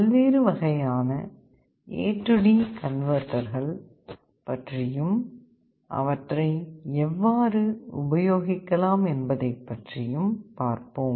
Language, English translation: Tamil, Now let us come to the different types of A/D converter and how they work